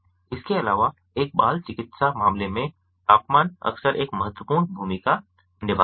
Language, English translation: Hindi, also, in a pediatric case, the temperature of an plays a vital role